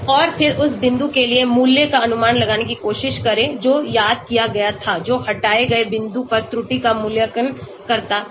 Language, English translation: Hindi, And then try to predict the value for that point, which was missed out that is evaluate the error at the removed point